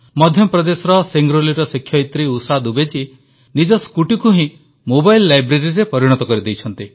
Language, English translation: Odia, A teacher from Singrauli in Madhya Pradesh, Usha Dubey ji in fact, has turned a scooty into a mobile library